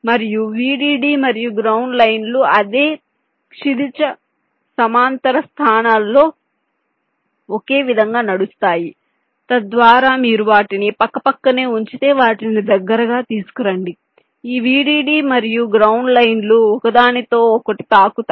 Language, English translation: Telugu, in the vdd and ground lines will be running similarly in the exact same horizontal positions so that if you put them side by side, bring them closer together, this vdd and ground lines will touch each other